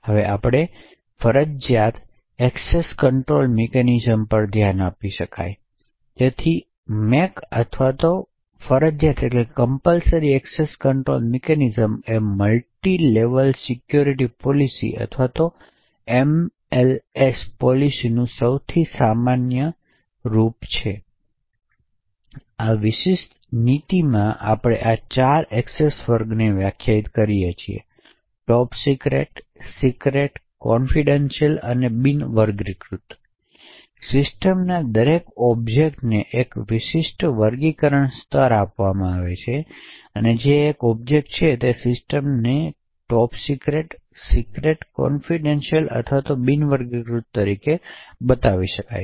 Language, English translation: Gujarati, We will now look at the mandatory access control mechanism, so the MAC or the mandatory access control mechanism is the most common form of a multi level security policy or an MLS policy, in this particular policy we define four access classes, these are top secret, secret, confidential and unclassified, every object in the system is given a particular classification level that is an object the system could be either classified as top secret, secret, confidential or unclassified